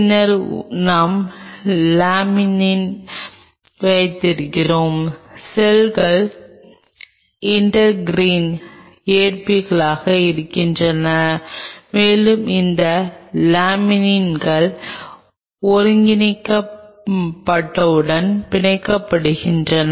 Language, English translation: Tamil, Then we have Laminin the cells are intergreen receptors and these laminins bind to the integral we will come to that